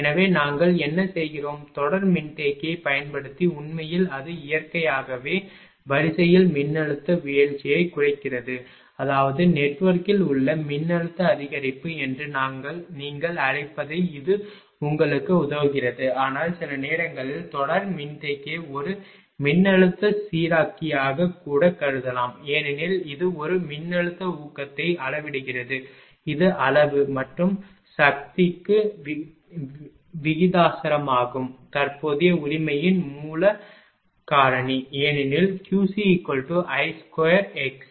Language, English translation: Tamil, So, what we are doing; using series capacitor actually it actually it ah reduces the voltage drop in the line naturally it; that means, it is helping to ah your what you call the voltage increase in the network right, but at times series capacitor can even be considered as a voltage regulator I told you because that provides for a voltage boost which is proportional to the magnitude and power factor of the through current right; because Q c is equal to I square x c